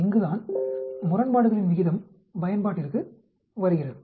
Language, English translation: Tamil, This is where odds ratio come into picture